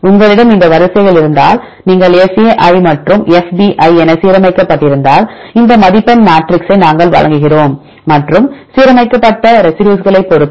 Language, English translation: Tamil, If you have this sequences you are aligned fa and fb, then we give this scoring matrix and depending upon the aligned residues